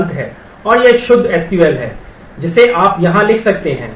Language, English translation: Hindi, And this is the pure SQL that you are writing here